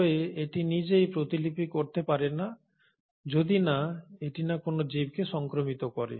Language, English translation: Bengali, But, on its own, this cannot replicate unless it infects a living organism